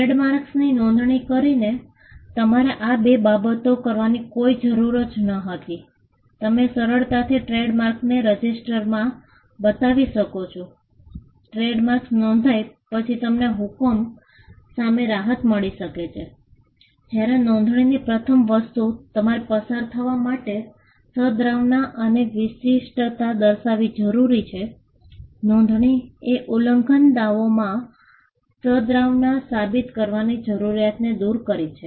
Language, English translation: Gujarati, By registering a trade mark, there was no need for you to do these two things, you could just register the trade mark and the fact that, the trade mark is registered; you could get a relief against injunction, whereas passing off required you to show goodwill and distinctiveness and that was the first thing registration did, registration removed the need to prove goodwill in an infringement suit